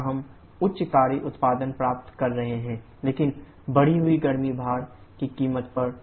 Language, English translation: Hindi, Where are getting hard work output but the cost of increased heat load